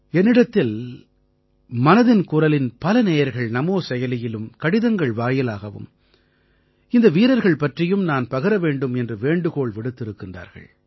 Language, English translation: Tamil, Many listeners of Mann Ki Baat, on NamoApp and through letters, have urged me to touch upon these warriors